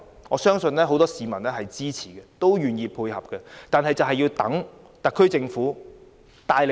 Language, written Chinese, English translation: Cantonese, 我相信很多市民會支持有關計劃，並且願意配合政府的工作。, I believe many people will support the relevant plans and are willing to cooperate with the Government in its work